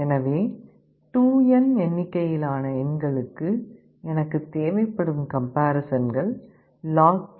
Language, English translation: Tamil, So, if there are 2n number of elements, I will be needing log2 2n = n